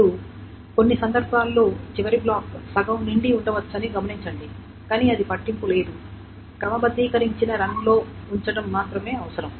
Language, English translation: Telugu, Now note that as may happen that in some cases the last block may be half full but it doesn't matter all it needs to create is to put in a sorted run